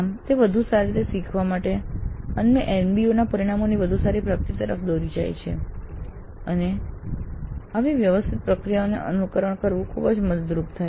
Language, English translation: Gujarati, Thus it leads to better learning and better attainment of the NBA outcomes and it is very helpful to follow such a systematic process